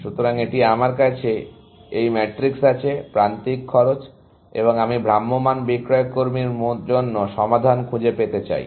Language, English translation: Bengali, So, this is my matrix given to me; edge cost, and I want find the solution for the travelling salesman